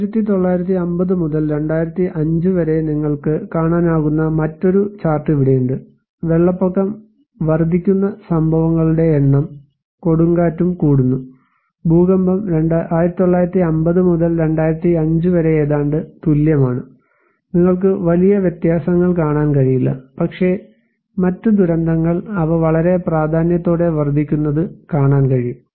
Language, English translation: Malayalam, So, also here is another chart you can see from 1950 to 2005, the number of events that flood is increasing, storm also are increasing, earthquake is almost the same as from 1950’s to 2005, you cannot see much huge differences but other disasters you can see they are increasing very prominently